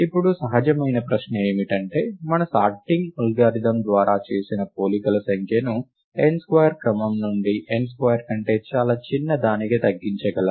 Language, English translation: Telugu, Natural question now, is that can one reduce the number of comparisons made by our sorting algorithm, from order of n square to something significantly smaller than n square